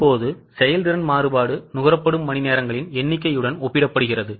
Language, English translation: Tamil, Now, the efficiency variance is comparison with number of hours consumed